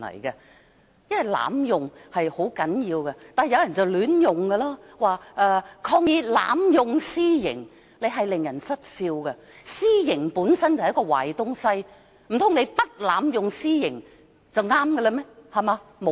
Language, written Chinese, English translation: Cantonese, 有人會亂用"濫用"一詞，說抗議濫用私刑，用法令人失笑，私刑本身就是一個壞東西，難道你不濫用私刑就對嗎？, Some people may misuse the term abuse and say Protest against the abuse of illegal punishment . The usage is risible . Illegal punishment is something bad